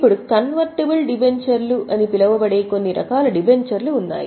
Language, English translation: Telugu, Now there are certain types of debentures which are known as convertible debentures